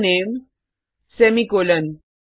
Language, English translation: Hindi, String name semicolon